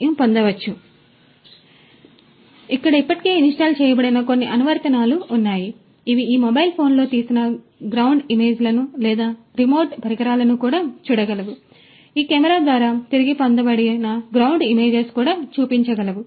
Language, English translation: Telugu, So, you know there are certain apps that are already installed here, which can help you to view the ground images that are being taken on this mobile phone or any other remote device can also you know show, the ground images that are retrieved through this camera